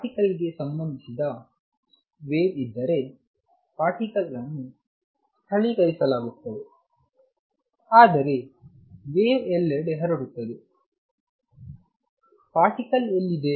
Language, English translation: Kannada, If there is a wave associated with a particle, particle is localized, but the wave is spread all over the place, where is the particle